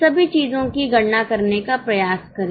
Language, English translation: Hindi, Try to calculate all these things